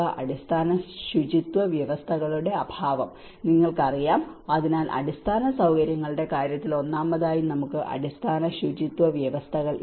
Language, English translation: Malayalam, Lack of basic hygiene conditions, you know so one is first of all in the infrastructure itself how we lack the basic hygiene conditions